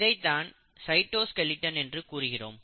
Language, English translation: Tamil, So this is possible because of this property of cytoskeleton